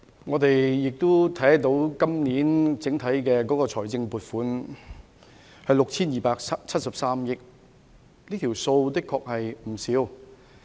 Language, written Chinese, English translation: Cantonese, 我們看到，本年整體的財政撥款達到 6,273 億元，的確並非小數目。, As we can see the total appropriation for this year is as much as 627.3 billion and it is honestly not a small sum